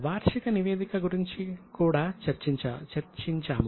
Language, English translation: Telugu, We also discussed about annual report